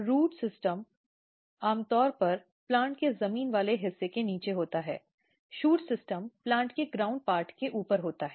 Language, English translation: Hindi, Root system is usually below the ground part of the plant; shoot system is above the ground part of the plant